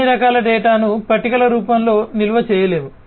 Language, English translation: Telugu, And not that all kinds of data could be stored in the form of tables